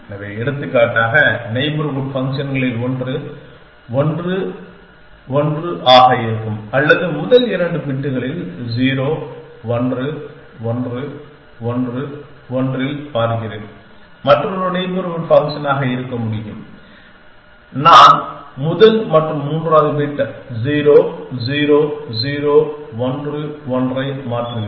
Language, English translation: Tamil, So, for example, one of the neighbors would be 1, 1 or let me just see in the first 2 bits 0, 1, 1, 1, 1 another neighbor could be I change first and third bit 0, 0, 0, 1, 1